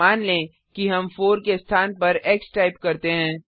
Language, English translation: Hindi, Suppose here, we type x in place of 4